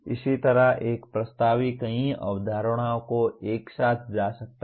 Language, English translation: Hindi, Similarly, a proposition can be made with multiple concepts put together